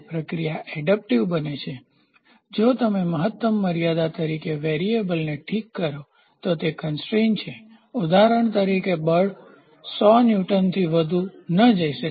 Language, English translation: Gujarati, So, the process becomes adaptable what is said the constraints is you fix a variable and you as a maximum limit, for example, the force cannot go more than 100 Newton